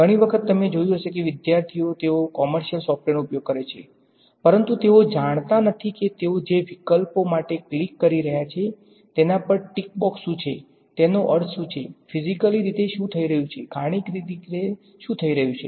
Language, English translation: Gujarati, Many times you will I have seen that students they use commercial software, but they do not know what are the tick box over options that they are clicking for, what does it mean, what is physically happening, what is mathematically happening